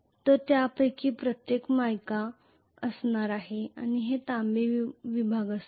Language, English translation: Marathi, So each of this is going to be mica and these are going to be copper segments,right